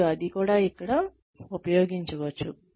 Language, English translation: Telugu, And, that can also be used here